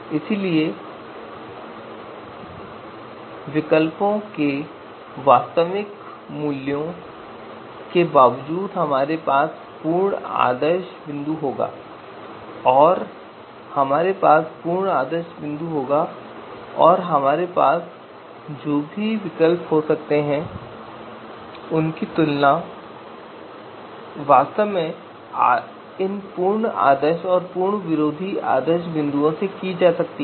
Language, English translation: Hindi, So irrespective of the you know actual values of the alternatives we will have the absolute ideal points and will have the absolute anti ideal point and any alternatives that we might have they can actually be compared with the with these absolute ideal and absolute you know anti ideal points